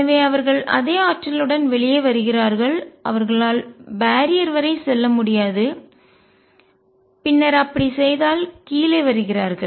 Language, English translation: Tamil, And therefore, they come out with the same energy and they cannot go up to the barrier, and then come down if they did